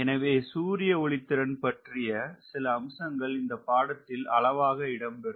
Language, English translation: Tamil, so so some aspects of solar power also will come in this course